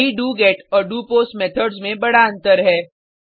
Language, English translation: Hindi, This is the major difference between doGet and doPost Methods